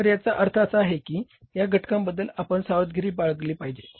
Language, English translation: Marathi, So, it means we have to say be careful about this component